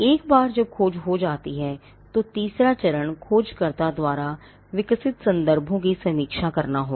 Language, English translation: Hindi, Once the search is done, the third step would be to review the references developed by the searcher